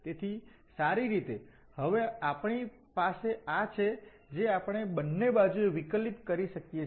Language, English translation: Gujarati, So well, we have now this one we can differentiate both the sides